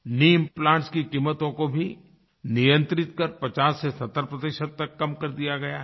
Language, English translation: Hindi, Knee implants cost has also been regulated and reduced by 50% to 70%